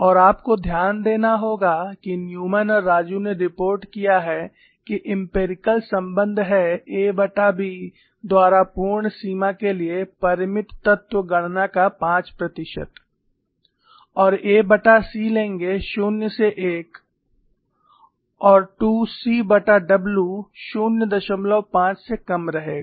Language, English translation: Hindi, And what you'll have to note is, Newman and Raju have reported that the empirical relation is within 5 percent of the finite element calculation for the full range of a by B, and a by c, from 0 to 1, and 2 c by W less than 0